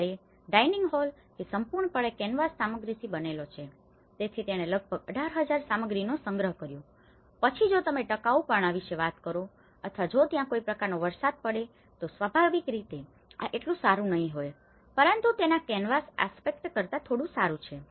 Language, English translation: Gujarati, whereas, the dining hall which is completely built with the canvas material, so that itself has costed about 18,000 material but then if you talk about the durability or if there is any kind of rain occurs then obviously this may not so better and but this is little better than the canvas aspect of it